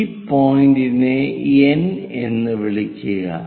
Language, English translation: Malayalam, So, call this point as N